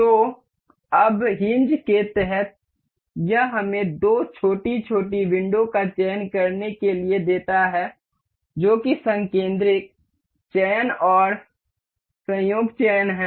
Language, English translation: Hindi, So, now under hinge it gives us to select two a small little windows that is concentric selection and coincident selections